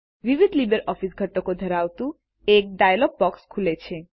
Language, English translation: Gujarati, A dialog box opens up with various LibreOffice components